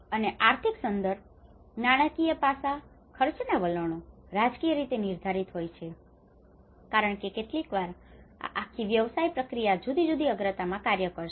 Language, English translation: Gujarati, And the economic context, the financial aspect, the expenditure trends, the politically which are politically determined because sometimes this whole business process will works in a different priorities